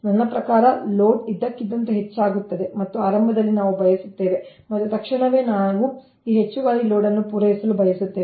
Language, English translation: Kannada, right, i mean load suddenly increases and initially we want to, and immediately we want to, supply this additional load